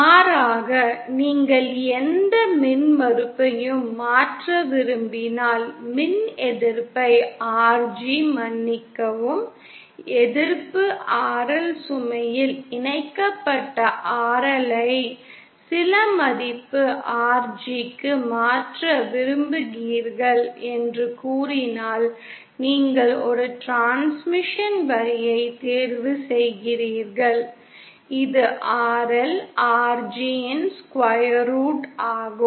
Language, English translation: Tamil, Conversely, if you want to convert any impedance say you want to convert resistance RG sorry resistance RL connected at the load to some value RG then you choose a transmission line which a characteristic impedance square root of RL RG and using this, you will get RG is equal to Zo square upon RL